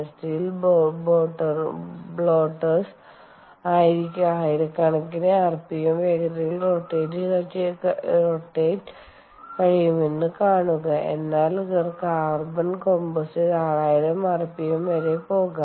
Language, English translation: Malayalam, see, steel bloaters can spin at around several thousand rpms, but carbon composites can go up to sixty thousand rpm